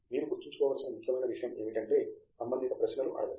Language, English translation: Telugu, The only thing that is important to keep in mind is you ask relevant questions